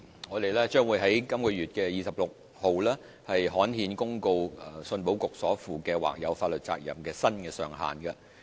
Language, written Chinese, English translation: Cantonese, 我們將於6月2日刊憲公告香港出口信用保險局所負的或有法律責任的新上限。, We will gazette the new cap on the contingent liability of the Hong Kong Export Credit Insurance Corporation ECIC on 2 June